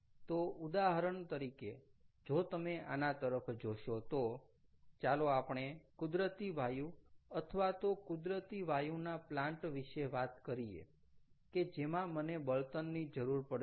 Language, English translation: Gujarati, so, for example, now, if you look at this, let us talk about a natural gas or a natural gas plant ok, i would need fuel